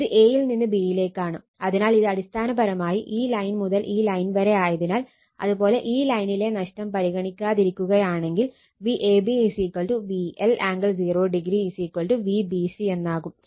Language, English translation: Malayalam, This is a to b, so this is basically line this line, this line, so basically it is your what you call if this we can write this we can write if we ignore this loss in this line right, then this V ab is equal to V L angle 0 is equal to V bc